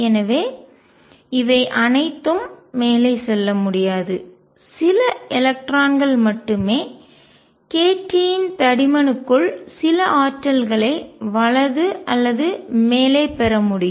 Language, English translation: Tamil, So, all these cannot move up, only electron that can gains gain some energies right or top within a thickness of k t